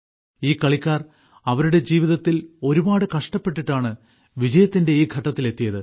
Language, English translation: Malayalam, These players have struggled a lot in their lives to reach this stage of success